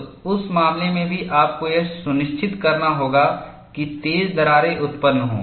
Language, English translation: Hindi, So, in that case also, you have to ensure that sharper cracks are produced